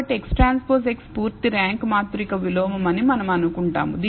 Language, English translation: Telugu, So, we assume that X transpose X is a full rank matrix invertible